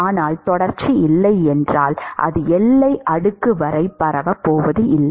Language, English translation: Tamil, But if there is no continuity then that is not going to propagate up to the boundary layer